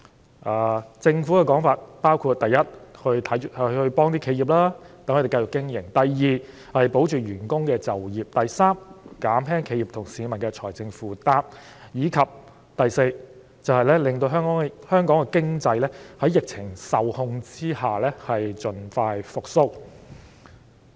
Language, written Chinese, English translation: Cantonese, 根據政府的說法，措施目的包括：第一，協助企業繼續經營；第二，保住員工的就業；第三，減輕企業和市民的財政負擔；以及第四，讓香港的經濟在疫情受控下盡快復蘇。, According to the Government the objectives of the measures are first to help businesses stay afloat; second to keep workers in employment; third to relieve the financial burdens of individuals and businesses; and fourth to assist the economy to recover once the epidemic is contained